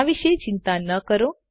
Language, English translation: Gujarati, This is nothing to worry about